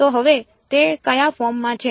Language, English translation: Gujarati, So now, it is in the what form